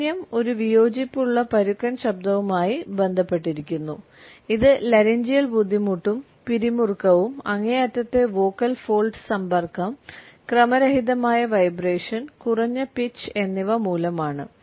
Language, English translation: Malayalam, Harshness is related with a disagreeable rough voice it is caused by laryngeal strain and tension, extreme vocal fold contact, irregular vibration and low pitch